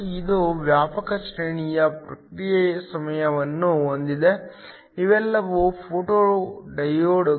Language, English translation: Kannada, This has a wide range of response times, these are all photo diodes